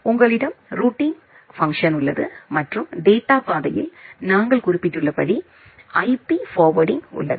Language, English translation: Tamil, You have the routing function and in the data path you have the IP forwarding as we have mentioned